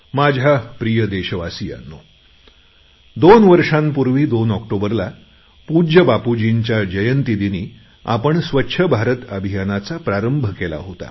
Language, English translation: Marathi, My dear countrymen, we had launched 'Swachha Bharat Mission' two years ago on 2nd October, the birth anniversary of our revered Bapu